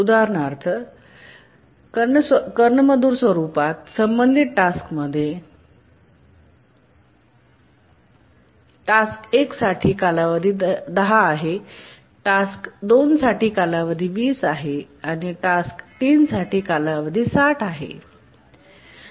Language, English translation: Marathi, Just to give an example of a harmonically related task set, let's say for the T1, the task one, the period is 10, for T is task 2, the period is 20, and for task 3 the period is 60